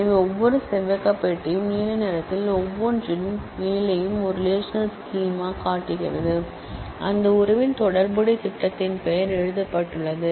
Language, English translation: Tamil, So, every rectangular box shows a relational schema on top of each in blue, is written the name of that relation relational schema